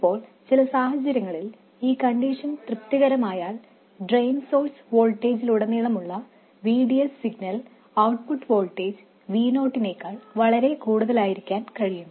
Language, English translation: Malayalam, Now if this condition is satisfied under some circumstances it is possible for this signal VDS across the drain source voltage to be substantially more than the output voltage V0